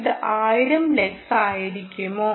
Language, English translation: Malayalam, is it going to be one thousand lux